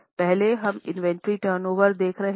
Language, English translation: Hindi, The first one here we are looking for is inventory turnover